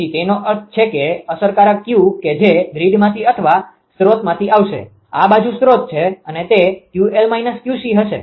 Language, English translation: Gujarati, So that means, effective; that means, effective Q which will come from the grid or from the source; this side is source right it will be Q l minus Q c